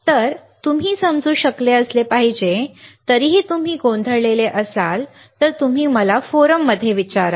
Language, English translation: Marathi, So, now, you should be able to understand, still if you are confused, you ask me in the forum